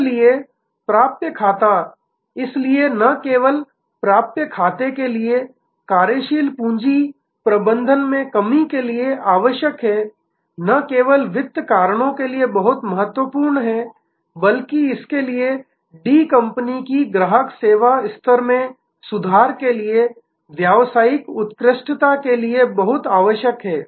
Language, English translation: Hindi, So, account receivable is therefore, not only required for working capital management reduction in of account receivable is very important of not only for finance reasons, but it is very much needed for business excellence for improving the service level of D company’s service to it is customers